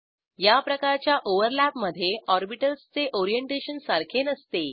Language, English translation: Marathi, In this type of overlap, orientation of the orbitals is not same